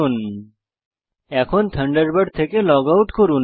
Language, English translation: Bengali, Finally, log out of Thunderbird